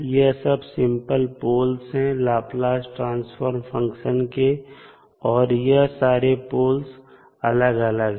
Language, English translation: Hindi, So, these are the simple poles of the Laplace Transform function